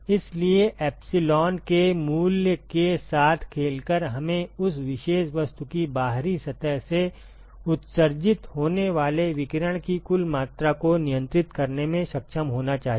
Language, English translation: Hindi, So, by playing with the value of epsilon, we should be able to control the total amount of radiation that is emitted by the outer surface of that particular object